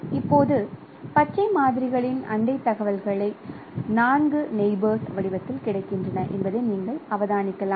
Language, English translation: Tamil, Now you can observe that the neighboring information of green samples are available in the form of four neighbors